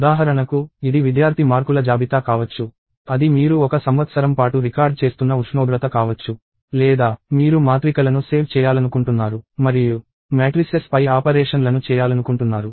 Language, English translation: Telugu, For instance, it could be list of marks of a student, it could be temperature that you are recording over a year or you want to save matrices and do operations on matrices, and so on